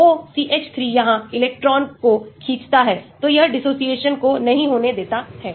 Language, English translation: Hindi, OCH 3 here pulls the electron, so it does not allow the dissociation taking place